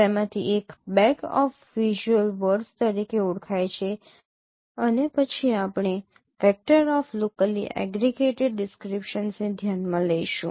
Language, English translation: Gujarati, One of them is known as bag of visual words and then we will consider vector of locally aggregated descriptions